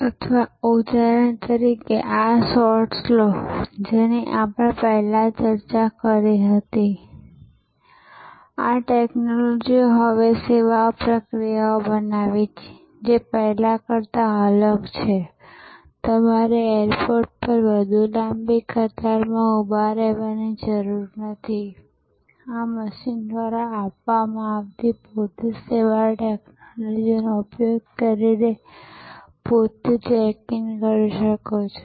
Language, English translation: Gujarati, Or for example, take these shots that we discussed before that these technologies therefore create now service processes, which are different from before, you do not have to queue up any more, long queue at the airport; you can do self check in using the self service technology offered by this machine